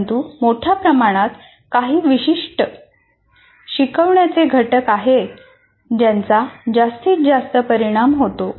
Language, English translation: Marathi, But by and large, there are certain instructional components that will have maximum impact